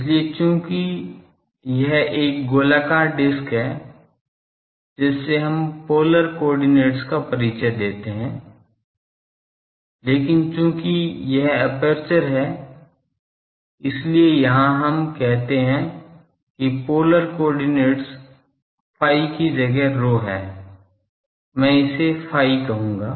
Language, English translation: Hindi, So, since this is a circular disc we introduce the polar coordinates, but since it is the aperture is here source we say the polar coordinate is rho instead of phi I call it phi dash